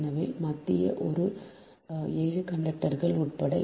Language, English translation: Tamil, first that there are seven conductors